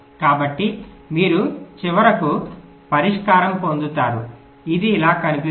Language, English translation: Telugu, go on repeating this so you will get finally a solution which looks like this